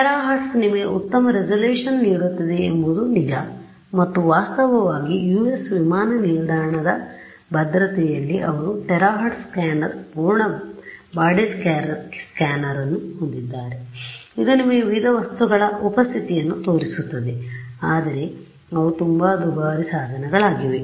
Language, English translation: Kannada, It is true the terahertz will give you better resolution and in fact, there are these airport security that the US has where they have a terahertz scanner, full body scanner, which shows you the presence of various objects right, but those are very expensive equipment